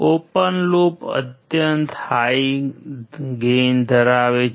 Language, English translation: Gujarati, Open loop has extremely high gain